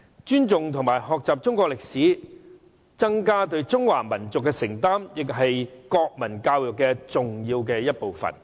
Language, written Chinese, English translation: Cantonese, 尊重及學習中國歷史，增加對中華民族的承擔，亦是國民教育重要的一部分。, Moreover respecting and learning Chinese history with the aim of developing a greater sense of commitment to the Chinese nation is an important aspect of national education